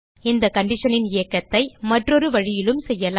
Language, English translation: Tamil, The conditional execution can also be done in another way